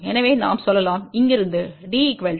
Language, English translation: Tamil, So, we can say from here D is equal to 1